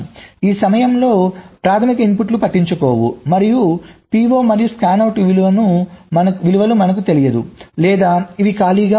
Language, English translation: Telugu, during this time primary inputs are dont care, and p, o and scanout we dont know, or this can be empty